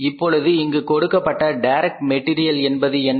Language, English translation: Tamil, Now what is the direct material given here is it is already given to us